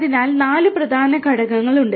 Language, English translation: Malayalam, There are four major components